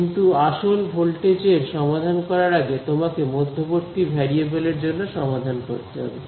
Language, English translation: Bengali, So, but you have to solve for one intermediate variable before you solve the actual voltage